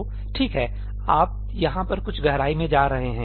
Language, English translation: Hindi, So, okay, you are getting into something deep over here